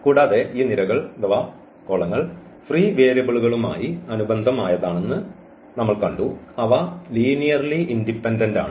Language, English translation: Malayalam, And we have seen that these columns here corresponding to those free variables, they are linearly dependent